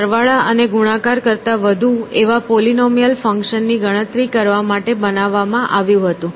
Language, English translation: Gujarati, It was designed to compute polynomial functions, more than addition and multiplication